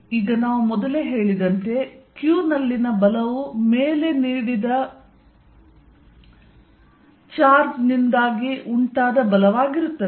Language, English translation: Kannada, Now force, as we said earlier on q is going to be force due to upper charge